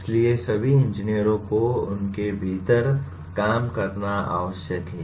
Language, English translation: Hindi, So all engineers are required to work within them